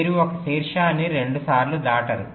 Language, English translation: Telugu, you do not cross a vertex twice